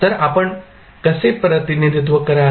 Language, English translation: Marathi, So, how will you represent